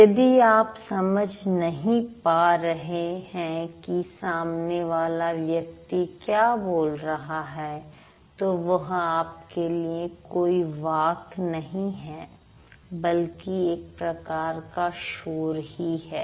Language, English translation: Hindi, So, if you don't understand what the other person is speaking, that means for you that's not speech, for you that's basically noise